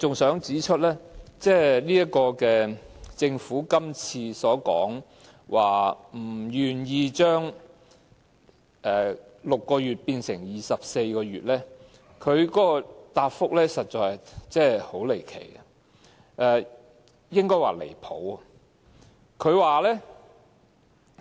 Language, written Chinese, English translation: Cantonese, 另一方面，對於政府不肯將檢控限期由6個月延長至24個月，局長的答覆實在很離奇，應該說十分離譜。, On the other hand in explaining the Governments refusal to extend the time limit for prosecution from 6 months to 24 months the Secretarys reply was indeed outlandish or more accurately outrageous